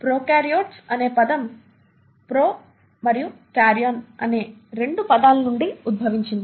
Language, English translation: Telugu, The term prokaryotes is derived from 2 words, pro and Karyon